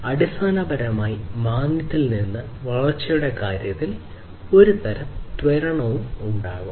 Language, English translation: Malayalam, So, basically from the recession, then there will be some kind of acceleration in terms of the growth